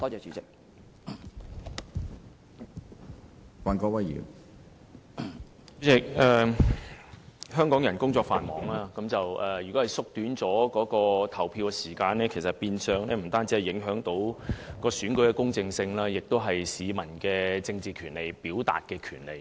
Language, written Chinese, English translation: Cantonese, 主席，香港人工作繁忙，縮短投票時間不但會影響選舉的公正性，亦會影響市民的政治權利和表達權利。, President as Hong Kong people are busy at work shortening the polling hours would affect not only the integrity of elections but also peoples political rights and their right to expression